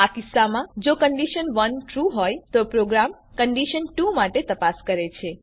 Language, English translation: Gujarati, In this case, if condition 1 is true, then the program checks for condition 2